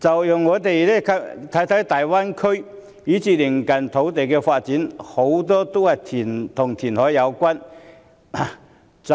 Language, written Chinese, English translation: Cantonese, 放眼大灣區以至鄰近地區的發展，大多數均與填海有關。, Looking at the development in the Greater Bay Area and the neighbouring regions reclamation is involved in most cases